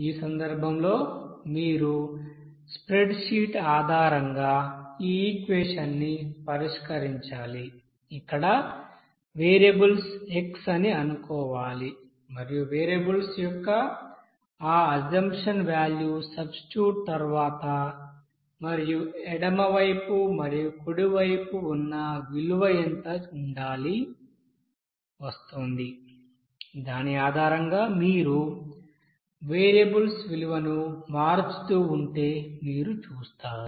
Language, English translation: Telugu, Now in this case you have to you know solve this equation based on spreadsheet like what is that you have to assume you know that variables here x and after substitution of that variables of that assumption value and what should be the value in you know that in left hand side and the right hand side will be coming based on which you will see that if you keep on changing that value of variables